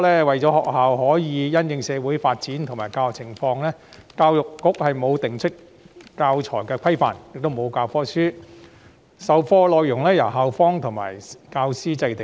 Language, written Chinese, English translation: Cantonese, 為了讓學校因應社會發展及教學情況授課，教育局最初沒有制訂教材規範，也沒有教科書，授課內容是由校方及教師制訂。, In order to enable the schools to teach in accordance with the social development and teaching conditions the Education Bureau EDB had not established any standards for teaching materials or provided any textbooks at the very beginning and the teaching content was drawn up by schools and teachers